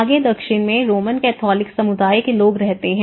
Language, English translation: Hindi, In further South, you see more of the Roman Catholic communities live there